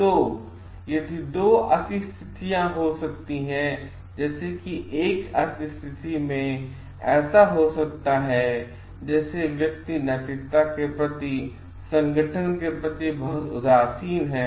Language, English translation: Hindi, So, there could be 2 extremes like in one extreme it may be so, like the person the organization is very indifferent to ethics